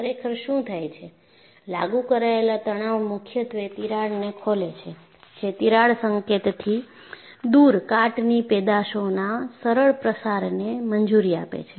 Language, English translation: Gujarati, What really happens is, the applied stress mainly opens up the cracks, allowing easier diffusion of corrosion products away from the crack tip